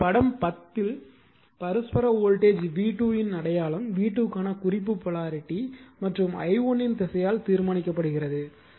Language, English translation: Tamil, Now, in figure 10 the sign of the mutual voltage v 2 is determined by the reference polarity for v 2 and direction of i1 right